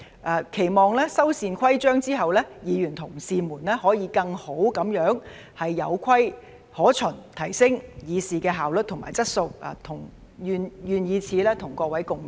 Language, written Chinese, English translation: Cantonese, 我期望修繕規章之後，議員同事們可以更好地有規可循，提升議事的效率和質素，願以此與各位共勉。, I hope that after the rules are improved my fellow colleagues will be able to follow the rules better and enhance the efficiency and quality of the Council in transacting business . Let us encourage each other in our endeavours